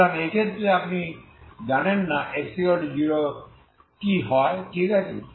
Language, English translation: Bengali, So in this case you do not know exactly what happens at x equal to 0, okay